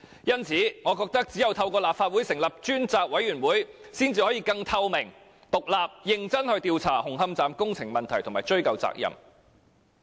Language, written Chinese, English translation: Cantonese, 因此，我認為只有透過立法會成立專責委員會，才可以更透明、獨立和認真地調查紅磡站工程問題並追究責任。, So in my view only through the establishment of a select committee by the Legislative Council can we inquire into the Hung Hom Station construction problem and pursue accountability in a more transparent independent and serious manner